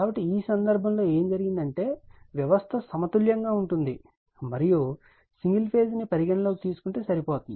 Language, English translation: Telugu, So, in this case what happened, the system is balanced and it is sufficient to consider single phase right